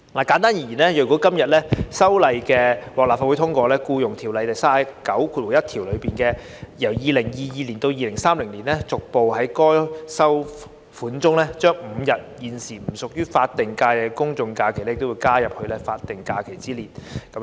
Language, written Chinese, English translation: Cantonese, 簡單而言，如果《條例草案》獲立法會通過，便會修訂《僱傭條例》第391條，由2022年起至2030年，逐步將5日現時不屬於法定假日的公眾假期加入法定假日之列。, Simply put if the Bill is passed by the Legislative Council section 391 of the Ordinance will be amended to add the five general holidays that are currently not SHs progressively from 2022 to 2030 to the list of SHs